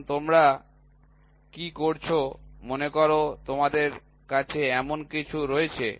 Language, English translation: Bengali, So, now, what you do is you have a suppose you have something like this